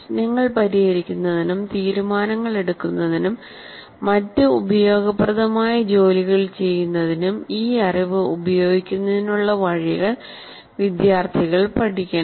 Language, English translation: Malayalam, And also the students must learn ways to use this knowledge to solve problems, make judgments, and carry out other useful tasks